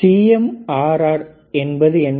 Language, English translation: Tamil, What is CMRR